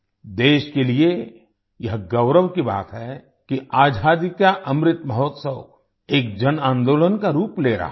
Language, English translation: Hindi, It is a matter of pride for the country that the Azadi Ka Amrit Mahotsav is taking the form of a mass movement